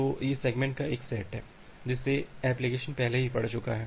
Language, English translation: Hindi, So, these are the set of segments that the application has already read out